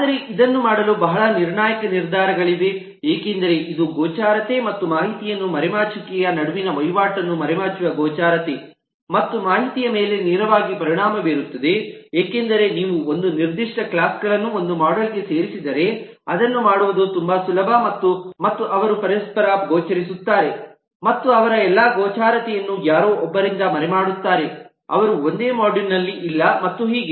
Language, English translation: Kannada, but this is a very critical decision to make because this will directly have an impact on the visibility and information hiding the trade off between visibility and information hiding because if you put certain classes together in to one module, then it is much easier to make them mutually visible and hide all of their visibility from someone who is not in the same module, and so on and so forth